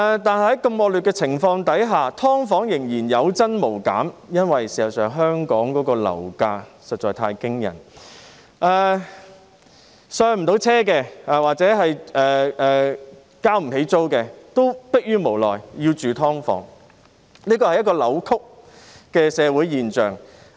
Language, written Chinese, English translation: Cantonese, 但是，在如此惡劣的情況下，"劏房"仍然有增無減，因為香港的樓價實在太驚人，無法"上車"或付不起租金的市民，也逼於無奈要居住於"劏房"，這是一個扭曲的社會現象。, Nevertheless despite such nasty circumstances the number of subdivided units is still on the rise instead of going down due to the really exorbitant property prices in Hong Kong . Those people who are unable to afford the first home or the rent of a better unit have no other alternatives but to live in subdivided units . This is a distorted social phenomenon